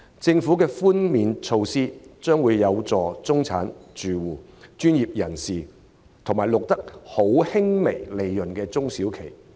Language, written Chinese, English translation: Cantonese, 政府的稅務寬免措施的確有助中產住戶、專業人士和錄得微利的中小企。, The tax concession measures of the Government are indeed helpful to middle - class households professionals as well as small and medium enterprises SMEs with minimal profits